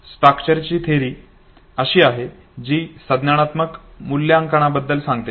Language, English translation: Marathi, The Schacter’s theory is something that talks about the cognitive appraisal okay